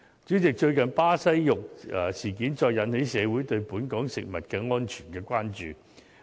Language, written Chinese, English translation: Cantonese, 主席，最近巴西肉事件再次引起社會對本港食物安全的關注。, President the recent Brazilian meat incident has once again aroused public concern over food safety in the territory